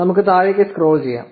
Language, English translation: Malayalam, Let us scroll down to the bottom